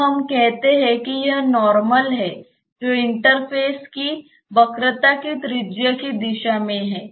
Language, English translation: Hindi, So, let us say that, that is theta this normal is in the direction of the radius of curvature of the interface